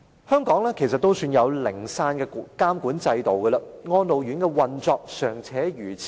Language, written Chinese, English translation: Cantonese, 香港也算擁有零散的監管制度，但安老院舍的運作仍如此差劣。, There are some regulatory systems in Hong Kong but still the operation of elderly care homes is very poor